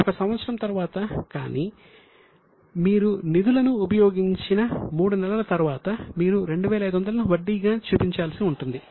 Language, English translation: Telugu, But after three months since you have used the funds, you will need to show 2,500 as an accrued interest